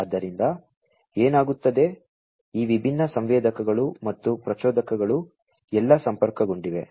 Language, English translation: Kannada, So, what happens is these different sensors and the actuators are all connected, right